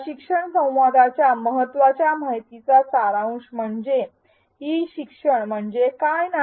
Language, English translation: Marathi, To summarize the key takeaway of this learning dialogue is what is not e learning